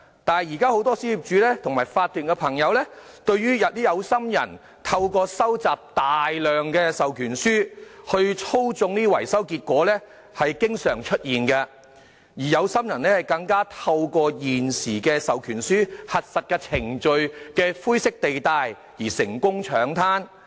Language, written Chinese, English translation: Cantonese, 不過，很多小業主和法團朋友表示，現在有心人透過收集大量授權書來操縱招標結果的情況經常出現，而有心人更透過現時授權書核實程序的灰色地帶，得以成功搶灘。, However according to many small property owners and members of OCs some people with ulterior motives will deliberately gather proxy forms to manipulate results of tendering exercises and the situation is quite common at present . These people with ulterior motives have taken advantage of the grey area in the validation procedures for proxy forms and managed to further their purposes successfully